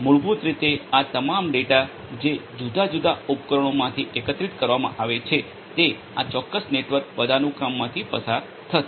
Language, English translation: Gujarati, All of these data basically that are collected from these different in devices will go through this particular network hierarchy